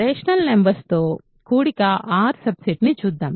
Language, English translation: Telugu, Let us look at the subset R consisting of rational numbers